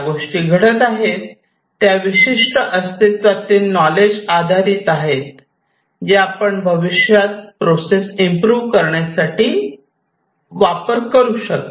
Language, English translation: Marathi, The way things are happening based on certain existing knowledge you can try to improve upon the processes in the future and so on